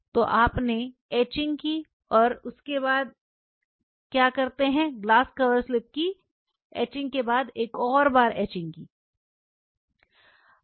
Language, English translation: Hindi, So, you did the etching and after the etching this is the etching of the glass cover surfaces then what you do you etched it after etching